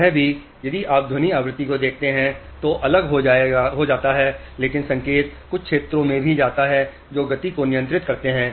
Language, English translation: Hindi, Now it is important here also if you see in the sound frequency is separated but signal also goes to certain areas which control movement